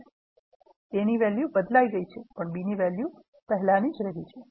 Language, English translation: Gujarati, Value of a, has changed, but not the value of b